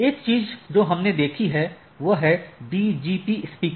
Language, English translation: Hindi, So, one thing what we have seen is the BGP speaker